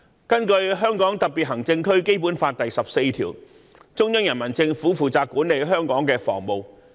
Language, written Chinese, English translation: Cantonese, 根據《基本法》第十四條，中央人民政府負責管理香港的防務。, According to Article 14 of the Basic Law the Central Peoples Government shall be responsible for the defence of Hong Kong